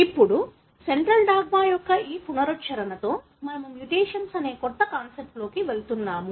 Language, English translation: Telugu, Now, with this recap of Central Dogma we are moving into a new concept that is mutations